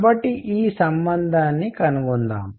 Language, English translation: Telugu, So, let us find this relationship